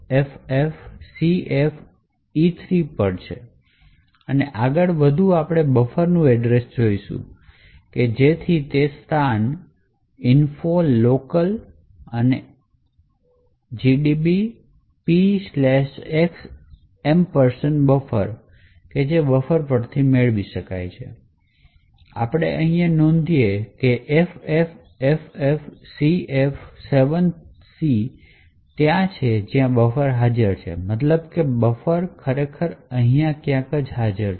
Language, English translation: Gujarati, This is at the location FFFFCFEC and further more we want the address of buffer so that is obtained from the location info locals and P slash x ampersand buffer and we note that FFFFCF7C is where the buffer is present so that is that means the buffer is actually present somewhere here